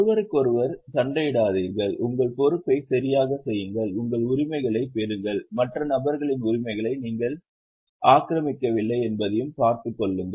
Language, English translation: Tamil, We tell them that don't fight with each other, do your responsibility properly, get your rights and see that you don't encroach on other person's rights